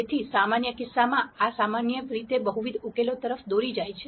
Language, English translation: Gujarati, So, in a general case this will usually lead to multiple solutions